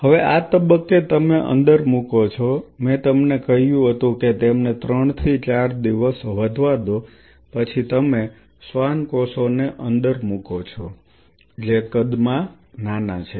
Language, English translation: Gujarati, Now at this stage you are introducing I told you that allow them to grow 3 4 days then you introduce the Schwann cells which are in smaller in size